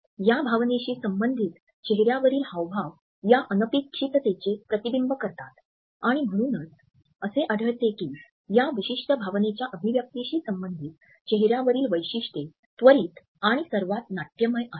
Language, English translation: Marathi, The facial expressions which are associated with this emotion reflect the unexpectedness of this emotion and therefore, we find that the facial features associated with the expression of this particular emotion are perhaps the most dramatic and instantaneous